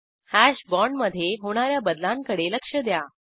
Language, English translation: Marathi, Observe the changes in the Hash bond